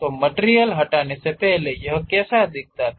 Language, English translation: Hindi, So, before removal, how it looks like